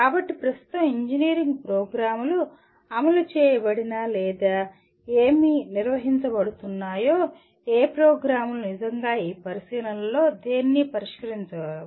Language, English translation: Telugu, So what happens the way currently engineering programs are implemented or conducted more by rather none of the programs really address any of these consideration